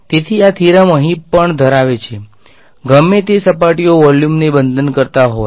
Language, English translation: Gujarati, So, this theorem holds to here also, whatever surfaces are bounding the volume